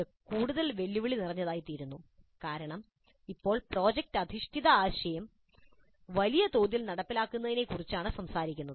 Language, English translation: Malayalam, And this becomes more challenging because now we are talking of a large scale implementation of product based idea